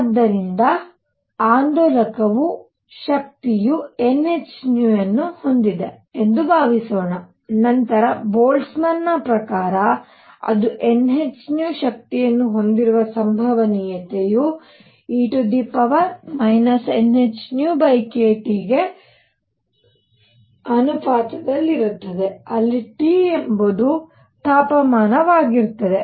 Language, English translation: Kannada, So, that let us suppose that the oscillator has energy n h nu then according to Boltzmann, the probability that it has energy n h nu, is proportional to e raised to minus n h nu over k T where T is the temperature